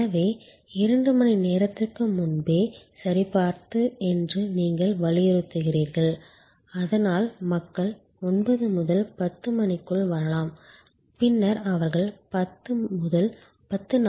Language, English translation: Tamil, So, you insist that checking is two hours before, so the people can arrive between 9 and 10 and then they can travel to the gate between 10 and 10